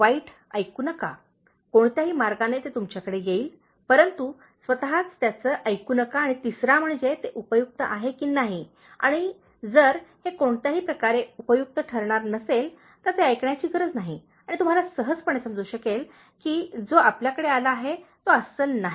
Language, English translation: Marathi, Bad one, don’t hear, any way you it will come to you some form or other but don’t hear on your own and the third one is whether it is useful and if it is not going to be useful in any way so there is no need to listen to that and you can easily understand that the person who has come to you is not a genuine one